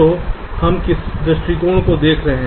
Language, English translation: Hindi, so what is the approach we are looking at